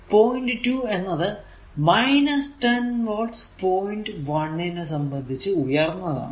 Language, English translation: Malayalam, So, point meaning is point 1 is 10 volt above point 2 this is the meaning right